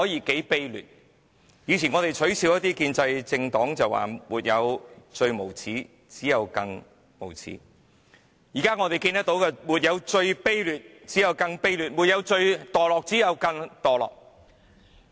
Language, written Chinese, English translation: Cantonese, 我們以前取笑建制派政黨時說"沒有最無耻，只有更無耻"，但現我們看到的卻是"沒有最卑劣，只有更卑劣；沒有最墮落，只有更墮落"。, In the past when we ridiculed political parties in the pro - establishment camp we said there was no limit in being shameless . But now what we have seen is that there is no limit in being despicable; neither is there any in being degenerative